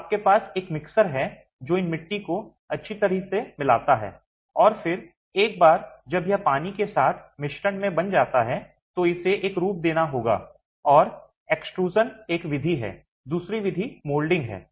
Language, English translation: Hindi, So you have a mixer which mixes these clay as well and then once it is made into a mixture with water you then have to give a form to it and extrusion is one method